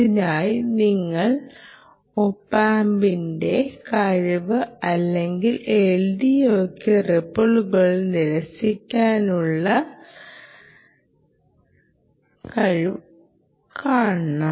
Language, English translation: Malayalam, for that you must look at the ability of the opamp or the ah l d o ah, the ability of the ah l d o to reject ripple